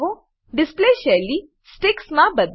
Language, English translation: Gujarati, Change the display to Sticks